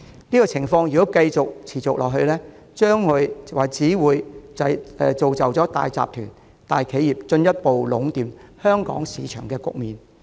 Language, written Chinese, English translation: Cantonese, 如果情況持續，只會造就大集團、大企業進一步壟斷香港市場的局面。, Such a situation if continues will only help big corporate groups and companies entrench their monopolization of the markets in Hong Kong